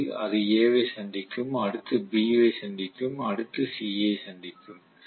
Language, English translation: Tamil, First it will meet with A, next it will meet with B, next it will meet with C